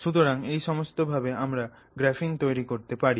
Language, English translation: Bengali, So, these are the ways in which we synthesize graphene